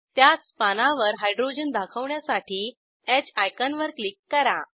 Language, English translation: Marathi, On the same page, click on H icon to show hydrogens